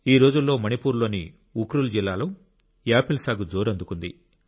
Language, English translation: Telugu, Nowadays apple farming is picking up fast in the Ukhrul district of Manipur